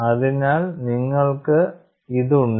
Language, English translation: Malayalam, So, what you have here